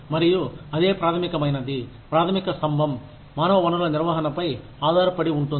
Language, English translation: Telugu, And, that is the basic fundamental pillar, that human resources management, rests on